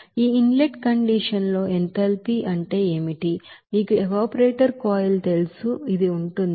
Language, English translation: Telugu, So what is the enthalpy in that inlet condition of this you know evaporator coil, this will be there